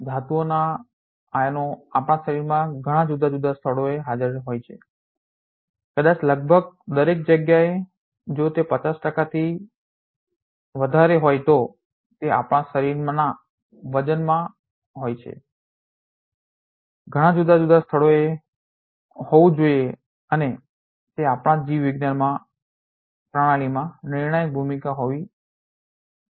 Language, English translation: Gujarati, Metal ions are present in many different places of our body perhaps almost everywhere if more than 50 percent it is of our body weight that has to be in many different places and there must be a role a crucial role they are playing in our biological system